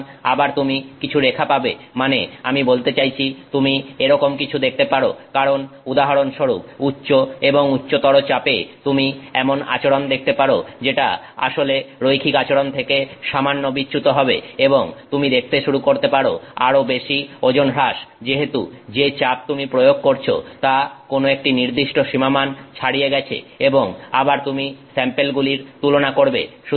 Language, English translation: Bengali, So, you will again have some curve that I mean if you may see something like this because as a higher and higher pressure you may see a behavior that deviates from your original linearity for example and you may start seeing much higher weight loss as the pressure you apply goes beyond some threshold value